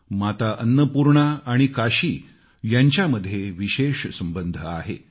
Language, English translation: Marathi, Mata Annapoorna has a very special relationship with Kashi